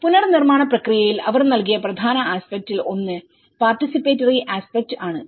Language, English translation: Malayalam, One is, in the rebuilding process they have given one of the important aspect is the participatory aspect